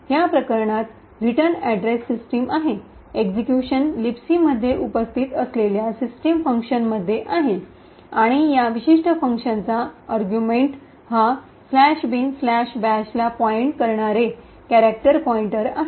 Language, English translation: Marathi, In this case the return address is the system, execution is into the system function present in LibC and the argument for this particular function is this character pointer pointing to slash bin slash bash